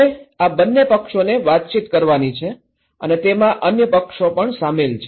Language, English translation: Gujarati, Now, these two parties has to interact and there are other parties are also involved